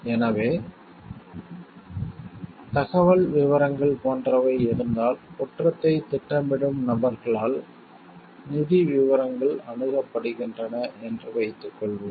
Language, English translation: Tamil, So, if such like informational details are suppose the financial details are accessed by people who are planning a crime